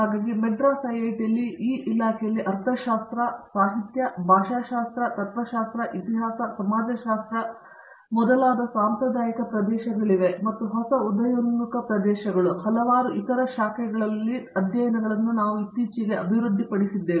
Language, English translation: Kannada, So, in this department at IIT, Madras, we have a traditional areas like economics, literature, linguistics, philosophy, history, sociology and it is several other branches which are is new emerging areas and also, what has been added recently is the developmental studies